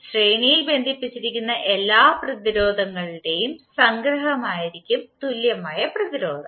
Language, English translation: Malayalam, Equivalent resistance would be summation of all the resistances connected in the series